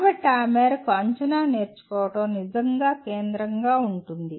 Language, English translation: Telugu, So to that extent assessment is really central to learning